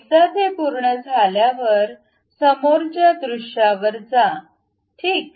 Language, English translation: Marathi, Once it is done go to frontal view, ok